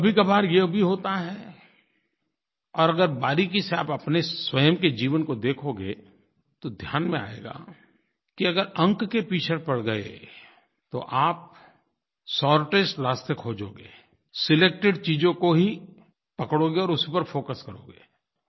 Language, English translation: Hindi, But this also happens sometimes and if you analyse minutely the journey of your own life, you will realise that if you start running after marks, you will look for the shortest ways, and will identify a few selected things and focus on those only